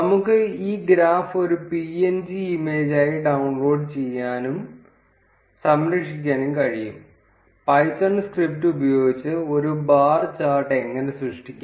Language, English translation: Malayalam, We can also download and save this graph as a png image, this is how a bar chart can be created using python script